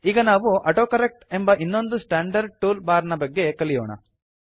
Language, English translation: Kannada, Let us now learn about another standard tool bar option called AutoCorrect